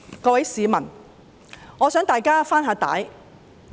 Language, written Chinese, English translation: Cantonese, 各位市民，我想跟大家回帶看看。, Members of the public I would like to dial back the clock with all of you